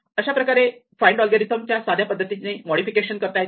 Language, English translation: Marathi, This is a very simple modification of the find algorithm